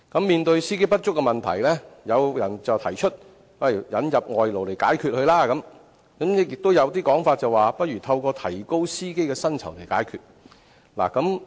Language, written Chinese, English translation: Cantonese, 面對司機不足的問題，有意見提出引入外勞來解決問題，亦有說法認為可透過提高司機的薪酬來解決問題。, In view of the shortage of bus drivers some people hold that workers should be imported to resolve the problem and there is also the view that raising the salaries of drivers may well be a solution